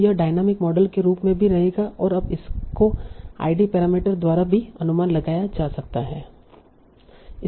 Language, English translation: Hindi, So this will remain the same as the dynamitory models only now it is also estimated by this ID parameter